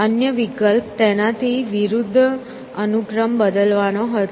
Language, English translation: Gujarati, Other option was the opposite, was to change the order